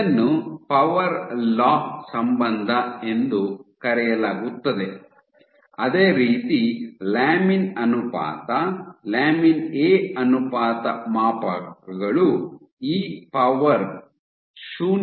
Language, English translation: Kannada, So, this is called the power law relationship similarly, so you have this lamin ratio, lamin A ratio scales as e to the power 0